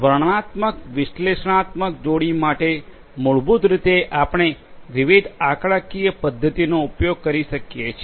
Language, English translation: Gujarati, Descriptive analytics you know pair basic we could use different statistical methods for the descriptive analytics